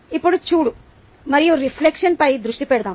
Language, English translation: Telugu, now let us focus on feedback and reflection